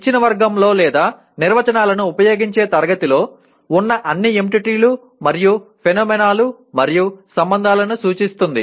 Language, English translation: Telugu, Denotes all of the entities and phenomena and or relations in a given category or class of using definitions